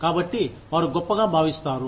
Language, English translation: Telugu, So, they feel great